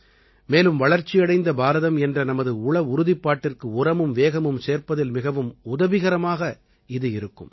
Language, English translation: Tamil, This will provide a fillip to the pace of accomplishing our resolve of a developed India